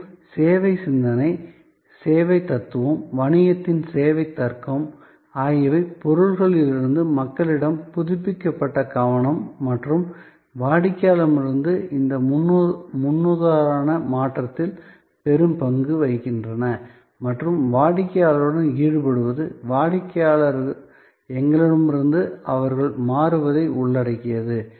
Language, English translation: Tamil, And the service thinking, service philosophy, service logic of business as a big role to play in this paradigm shift from objects to people, from the renewed focus and the customer and engaging with the customer's, involving the customer, changing from we and they to us